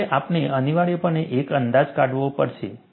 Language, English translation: Gujarati, So, we have to necessarily make an approximation